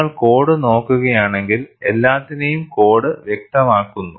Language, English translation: Malayalam, But if you really look at the code, for everything the code specifies